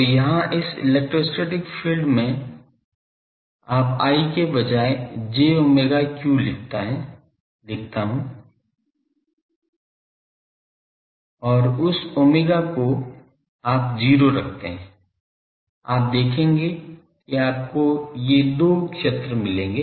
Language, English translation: Hindi, So, here in this electrostatic field you instead of I you write the j omega q and that omega you puts to 0 you will see will get these two fields